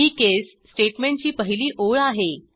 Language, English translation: Marathi, This is the first line of case statement